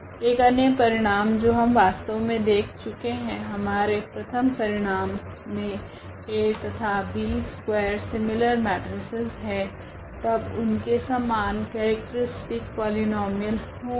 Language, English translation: Hindi, Another result which actually we have seen already in this first result A B are the square similar matrices, then they have the same characteristic polynomial